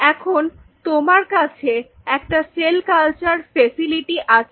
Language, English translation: Bengali, So, you have a cell culture facility